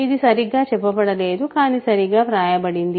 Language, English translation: Telugu, So, what this is not properly stated, but properly written